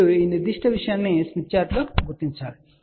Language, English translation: Telugu, So, what you do, you locate this particular thing on the smith chart